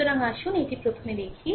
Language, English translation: Bengali, So, this is the first one